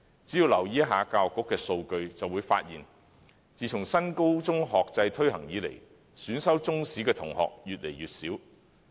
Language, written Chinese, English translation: Cantonese, 只要留意一下教育局的數據，便會發現自新高中學制推行以來，選修中史的同學越來越少。, One only needs to take note of the Education Bureau data to find out that since the implementation of the New Senior Secondary Academic Structure fewer and fewer students have taken Chinese History